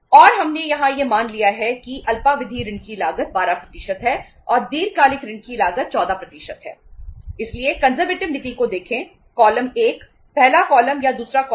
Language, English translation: Hindi, And we have assumed here that the cost of the short term debt is 12% and the cost of the long term debt is 14%